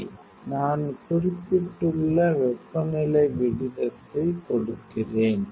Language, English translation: Tamil, Ok, I will ask the temperature rate you mentioned, right